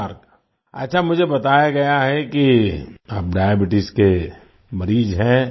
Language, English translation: Hindi, Well, I have been told that you are a diabetic patient